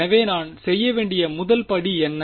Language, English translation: Tamil, So, what is the first step I should do